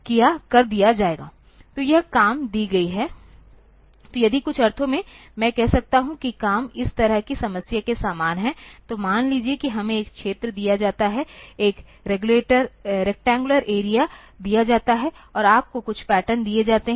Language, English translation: Hindi, So, given this job, so if in some sense I can say that the job is similar to problem like this, that suppose we are you are given an area, a rectangular area is given, and you are given some patterns